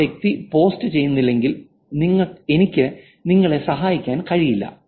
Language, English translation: Malayalam, If the person is not posting, then I can't help you